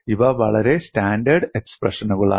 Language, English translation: Malayalam, These are very standard expressions